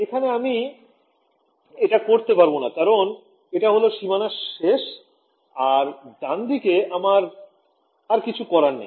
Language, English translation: Bengali, Here I cannot do that because it is the end of the domain I have nothing to the right of this